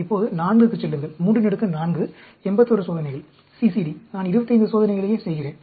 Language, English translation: Tamil, Now, go to 4; 3 raised to the power 4, 81 experiments; CCD, I just do 25 experiments